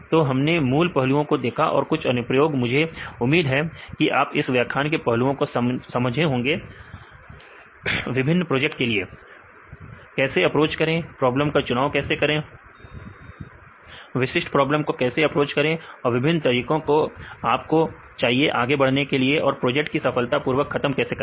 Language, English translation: Hindi, So, we cover the basic aspects as well as the on some of the applications, I hope you enjoyed these lectures and you understood the aspects of the basics as well as the for carrying the different projects, how to approach right, how to choose a problem, how to approach a specific problem, and what are the ways different ways you need to proceed right for the successful completion of your project right